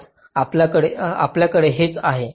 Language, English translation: Marathi, ok, this is what we have today